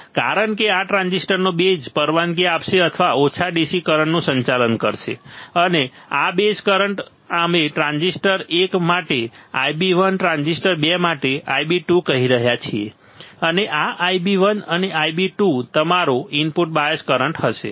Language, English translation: Gujarati, Due to this the base of this transistor will allow or will conduct small DC currents and this base current we are saying I b 1 for transistor one I b 2 for transistor 2 and this I b 1 and I b 2 will be your input bias current this will be your input bias current